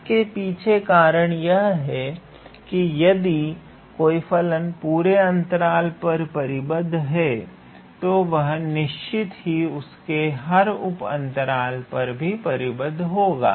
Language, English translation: Hindi, Here the idea is I mean if you have a function f, which is bounded on the whole interval a, b, then certainly it is bounded on every subintervals